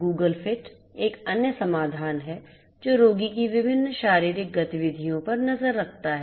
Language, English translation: Hindi, Google Fit is another solution which keeps track of different physical activities of the patient